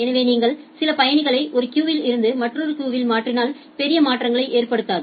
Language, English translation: Tamil, So, what if you do you transfer some passengers from one queue to another queue it does not matter much